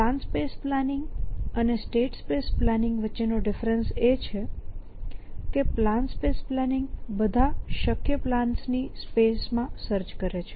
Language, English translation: Gujarati, And the different between plan spaces planning, state space planning is plan space planning purchase in the space of all possible plans